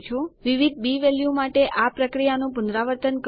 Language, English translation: Gujarati, Repeat this process for different b values